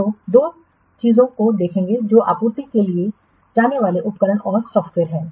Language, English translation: Hindi, So we will see two things that equipment and software to be supplied